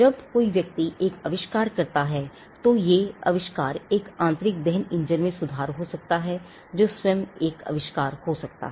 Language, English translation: Hindi, When a person comes up with an invention, the invention could be improvement in an internal combustion engine that could be an invention